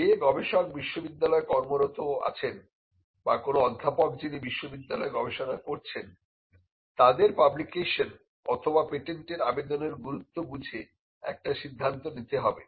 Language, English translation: Bengali, The most important thing for a researcher who works in the university setup or a professor who has research being done in the university they need to take a call on the implications of whether to publish or to patent